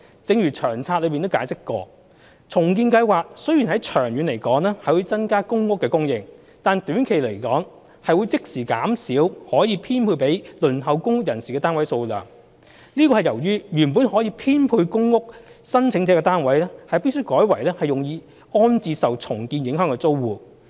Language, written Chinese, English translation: Cantonese, 正如《長策》解釋，重建計劃雖然長遠可增加公屋供應，但短期來說，會即時減少可供編配予輪候公屋人士的單位數量。這是由於原本可供編配予公屋申請者的單位，必須改為用於安置受重建影響的租戶。, As explained in the Long Term Housing Strategy while redevelopment may increase PRH supply over the long term in the short run it will immediately reduce the number of flats which can be allocated to those waiting for PRH because such flats will have to be used to rehouse tenants displaced by redevelopment instead of being allocated to PRH applicants